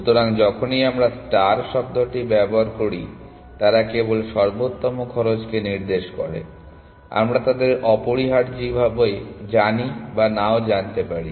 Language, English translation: Bengali, So, whenever we use the term star, they just denotes the optimal cost, we may or may not know them essentially